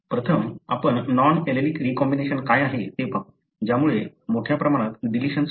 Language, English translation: Marathi, Let us first take what is called as a non allelic recombination leading to large deletions